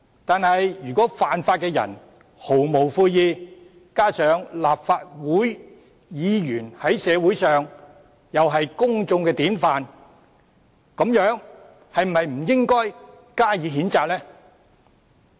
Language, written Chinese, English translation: Cantonese, 但如果犯法的人毫無悔意，加上立法會議員在社會上是公眾典範，難道不應予以譴責？, Nevertheless if the offender remains unrepentant and since Members of the Legislative Council are exemplary models in the community should he not be censured?